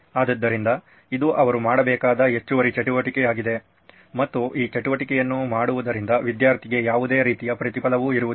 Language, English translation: Kannada, So this is an additional activity that they have to do and does not have any kind of reward that is coming to the student for doing this activity